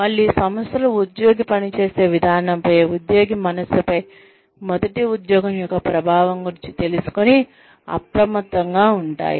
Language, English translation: Telugu, Again, organizations are alert to, they are aware of the impact of the first job, on a, an employee's mind, on an employee's way of working